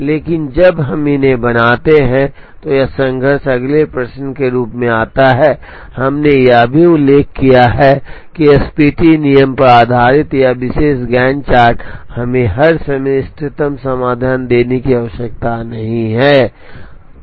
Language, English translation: Hindi, But when we make these then this conflict comes as to the next question is, we also mentioned that this particular Gantt chart based on the SPT rule, need not give us the optimum solution all the time